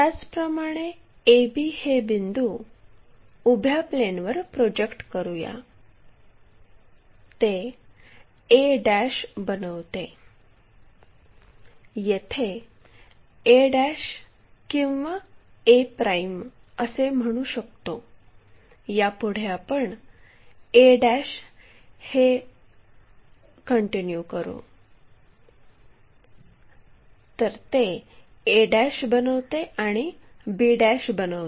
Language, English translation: Marathi, Similarly, let us project A B points on 2 vertical plane, it makes a' and makes b'